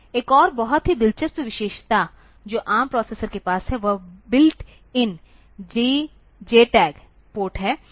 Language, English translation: Hindi, Another very interesting feature that this ARM processor has, is the built in JTAG port